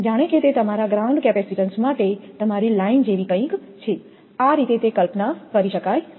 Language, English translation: Gujarati, As if it is something like your line to your ground capacitance, this way it can be imagine